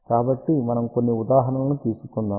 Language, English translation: Telugu, So, let us take a few examples